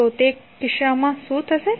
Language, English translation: Gujarati, So, what will happen in that case